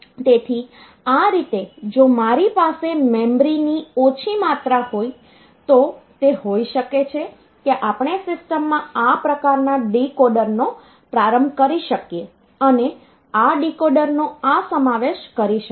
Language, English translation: Gujarati, So, this way it will continue, so this way this if I have got less amount of memory so it can be we can have this start type of decoder incorporated into the system and this incorporation of this decoder